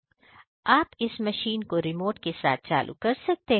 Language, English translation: Hindi, You can control the machine also remotely